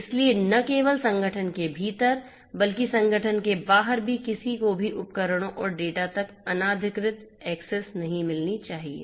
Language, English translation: Hindi, So, not only within the organization, but also outside the organization also nobody should get illegitimate access to the devices and the data